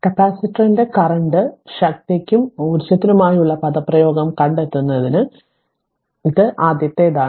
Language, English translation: Malayalam, So, you have to find out derive the expression for the capacitor current power and energy this is the first thing